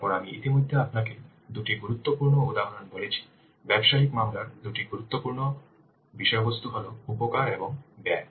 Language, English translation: Bengali, Then as I have already told you the two important components, the two important contents of business case are benefits and costs